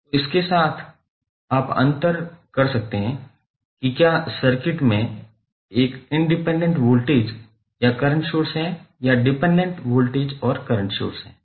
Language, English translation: Hindi, So, with this you can differentiate whether in the circuit there is a independent voltage or current source or a dependent voltage and current source